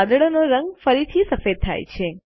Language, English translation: Gujarati, The colour of the cloud reverts to white, again